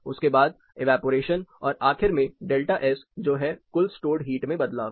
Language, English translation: Hindi, Then evaporation finally it is a delta S that is a net stored change in the net stored heat